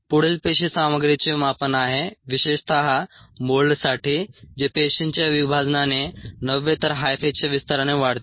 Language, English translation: Marathi, the next is cell contents measurement, especially for mold, which grows by extension of high fair, not by divisional cells